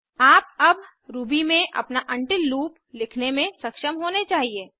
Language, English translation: Hindi, You should now be able to write your own while loop in Ruby